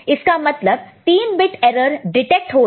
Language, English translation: Hindi, So, 3 bit error is detected, ok